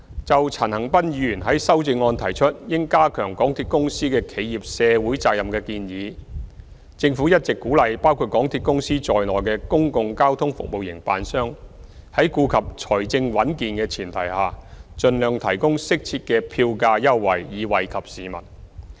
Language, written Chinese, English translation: Cantonese, 就陳恒鑌議員在修正案中提出應加強港鐵公司的企業社會責任的建議，政府一直鼓勵包括港鐵公司在內的公共交通服務營辦商在顧及財政穩健的前提下，盡量提供適切的票價優惠，以惠及市民。, In his amendment Mr CHAN Han - pan suggests strengthening the corporate social responsibility of MTRCL . The Government has all along encouraged public transport operators including MTRCL to offer suitable fare concessions as far as possible for members of the public taking into account their financial stability